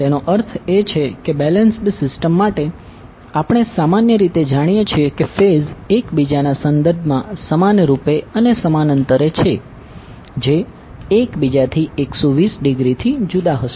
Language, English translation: Gujarati, That means for a balanced system we generally know that the phases are equally upon equally distant with respect to each other that is 120 degree apart from each other